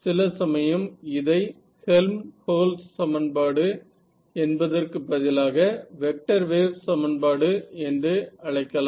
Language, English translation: Tamil, So, more generally we will instead of calling it Helmholtz equation we just call it a vector wave equation right